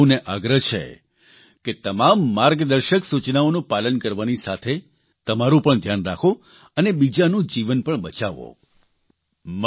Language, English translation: Gujarati, I urge all of you to follow all the guidelines, take care of yourself and also save the lives of others